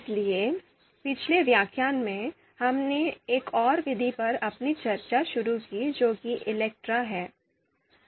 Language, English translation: Hindi, So in previous lecture, we started our discussion on another method that is ELECTRE